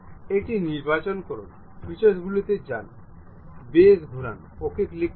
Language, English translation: Bengali, Select this one, go to features, revolve boss base, click ok